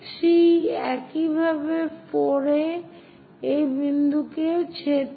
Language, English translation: Bengali, 3, similarly at 4, also intersect this point